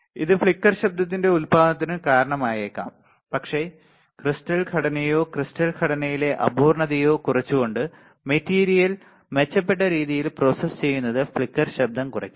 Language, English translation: Malayalam, It may cause the generation of flicker noise, but the better processing better processing of the material by reducing the crystalline structure or imperfection in the crystalline structure would reduce the flicker noise would reduce the flicker noise ok